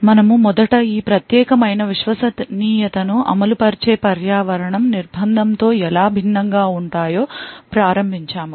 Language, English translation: Telugu, We first start of it is in how this particular Trusted Execution Environments is different from confinement